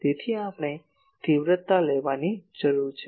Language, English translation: Gujarati, So, we need to take the magnitude